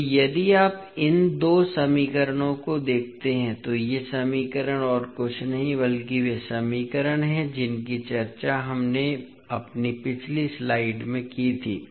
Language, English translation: Hindi, So, if you see these two equations these equations are nothing but the equations which we discussed in our previous slide